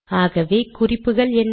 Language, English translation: Tamil, So what are the guidelines